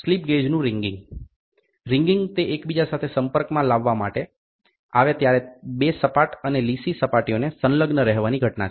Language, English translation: Gujarati, Wringing of a slip gauge; wringing is the phenomenon of adhesion of two flat and smooth surfaces when they are brought in close contact with each other